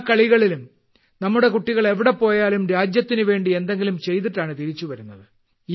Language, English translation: Malayalam, In every game, wherever our children are going, they return after accomplishing something or the other for the country